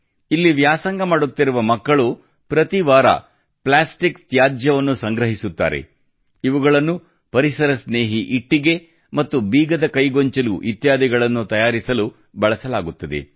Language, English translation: Kannada, The students studying here collect plastic waste every week, which is used in making items like ecofriendly bricks and key chains